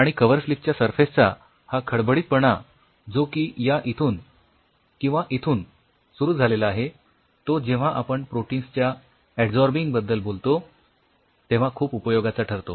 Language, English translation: Marathi, And this roughness of the surface of a cover slip starting from here or here will be very helpful why when will we talk about absorbing the proteins